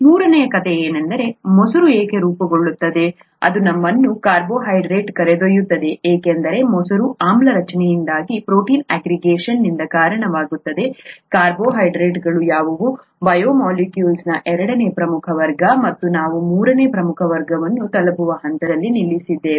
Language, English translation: Kannada, The third story is why curd gets formed which led us to carbohydrates because curd gets formed by acid formation that leads to protein aggregation, what carbohydrates were the second major class of biomolecules and we stopped at the point where we reached the third major class of biomolecules which happens to be proteins, proteins or amino acids as you call it